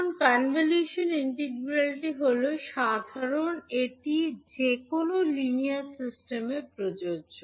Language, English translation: Bengali, Now the convolution integral is the general one, it applies to any linear system